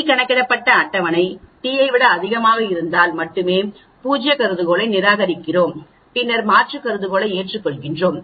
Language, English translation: Tamil, Only if the t calculated is greater than a table t then we reject the null hypothesis then we accept the alternate hypothesis